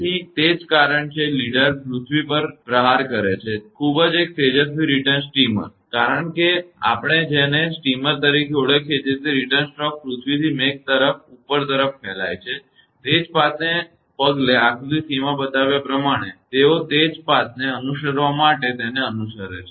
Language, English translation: Gujarati, So, that is why as the leader strikes the earth; an extremely bright return streamer, we call steamer called return stroke propagates upward from the earth to the cloud following the same path as shown in figure c; they following it to follow the same path